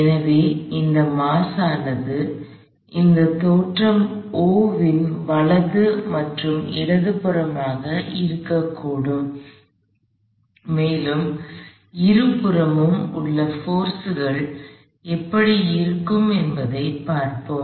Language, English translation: Tamil, So, this mass is likely to be both to the right as well as to the left of this origin o and we will see what the forces look like on either side